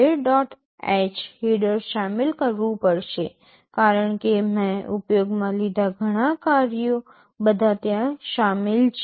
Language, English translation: Gujarati, h header because many of the functions I am using are all included there